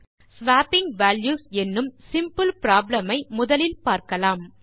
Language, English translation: Tamil, But let us look at a simple problem of swapping values